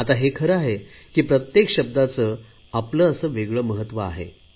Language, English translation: Marathi, It is true that words have their own significance